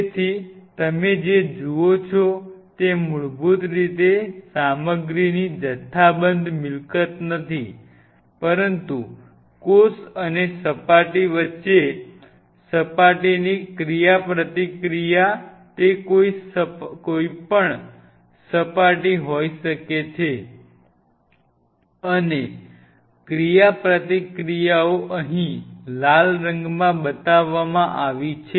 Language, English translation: Gujarati, So, what you see is a basically a not a bulk property of the material, but a surface interaction between cell and surface it could be any surface and the interactions are shown here in the red color